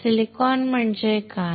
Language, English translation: Marathi, Silicon is what